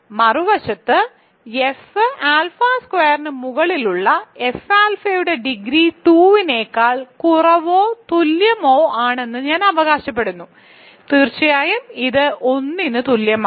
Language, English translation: Malayalam, On the other hand I claim that the degree of extension F alpha over F alpha squared is less than or equal to 2, so of course, it is greater than equal to 1